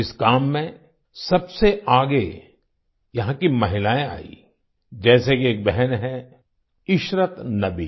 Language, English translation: Hindi, The women here came to the forefront of this task, such as a sister Ishrat Nabi